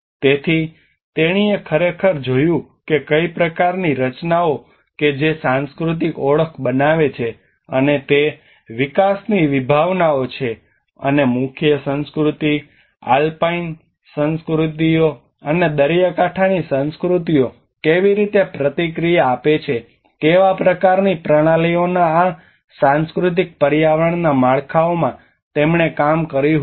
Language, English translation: Gujarati, So she actually looked at how what kind of structures that create the cultural identity, and that concepts of development and she worked in this cultural environment framework of how the mainstream cultures, alpine cultures, and the coastal cultures how they respond, what kind of systems they do have, and that is what she derives some very participatory approaches